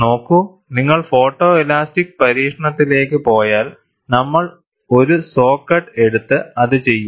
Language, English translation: Malayalam, See, if you go to photo elastic experiment, we will simply take a saw cut and then do it